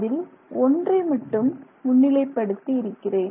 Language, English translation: Tamil, So, I have just highlighted one of them